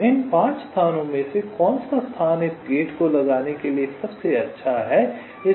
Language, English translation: Hindi, so, out of this five locations, which is the best location to place this gate